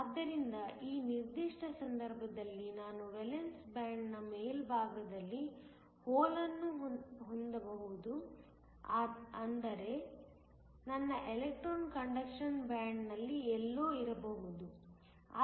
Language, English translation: Kannada, So, in this particular case I can have a hole at the top of the valence band, but my electron can be somewhere within the conduction band